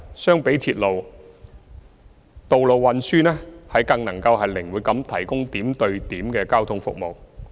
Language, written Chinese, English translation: Cantonese, 相比鐵路，道路運輸能更靈活地提供點對點的交通服務。, Compared with the railway road transport can provide point - to - point transport services in a more flexible manner